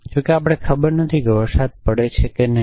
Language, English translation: Gujarati, Off course do not know whether it is raining or not